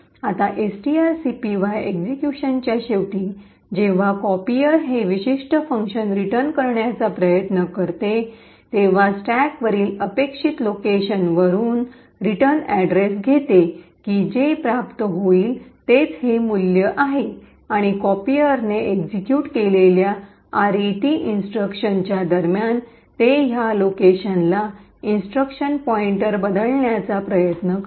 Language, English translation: Marathi, Now at the end of execution of string copy when this particular function copier tries to return it picks the return address from the expected location on the stack that what it would obtain is this value 41414141 and during their RET instruction that copier executes it tries to change the instruction pointer to this location